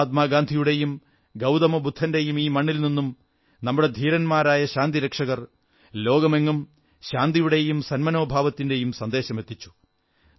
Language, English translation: Malayalam, The brave peacekeepers from this land of Mahatma Gandhi and Gautam Budha have sent a message of peace and amity around the world